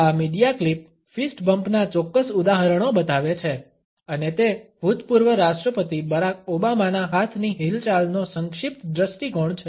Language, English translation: Gujarati, This media clip shows certain examples of fist bumps and it is a brief view of the hand movements of former President Barack Obama